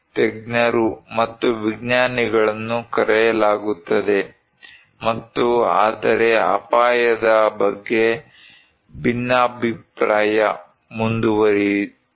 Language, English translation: Kannada, Experts and scientists are called and but disagreement continued about risk